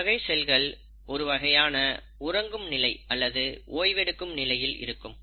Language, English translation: Tamil, Now these cells perpetually stay in a state of quiescence, or a resting phase